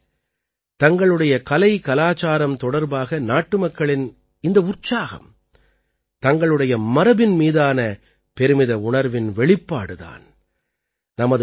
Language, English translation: Tamil, Friends, this enthusiasm of the countrymen towards their art and culture is a manifestation of the feeling of 'pride in our heritage'